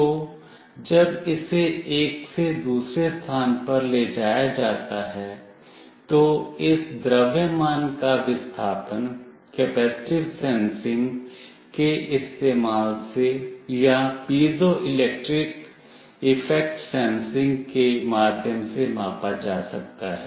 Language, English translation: Hindi, So, the displacement of this mass when it is moved from one point to another, can be measured using either capacitive sensing or through piezoelectric effect sensing